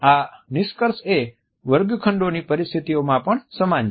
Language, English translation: Gujarati, These findings are equally well it in the classroom situations